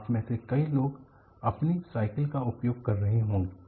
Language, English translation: Hindi, Many of you will be using a cycle